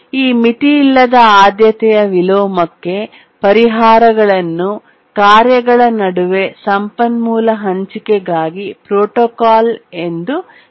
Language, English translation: Kannada, The solutions to the unbounded priority inversion are called as protocols for resource sharing among tasks